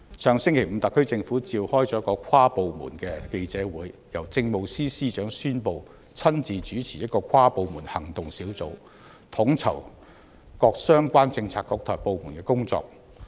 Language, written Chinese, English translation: Cantonese, 上星期五，特區政府召開記者會，由政務司司長宣布親自主持一個跨部門行動小組，統籌各相關政策局和部門的工作。, The SAR Government convened a press conference last Friday to announce that an inter - departmental action group chaired by the Chief Secretary for Administration would be formed to coordinate the work undertaken by relevant Policy Bureaux and departments